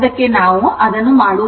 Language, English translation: Kannada, We will not do that